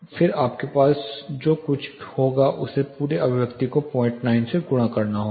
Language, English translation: Hindi, Then what you will have you will have to multiply the whole thing by 0